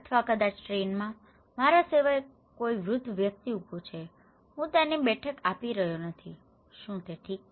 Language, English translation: Gujarati, Or maybe in the train, there is elder person standing besides me, I am not offering her seat, is it okay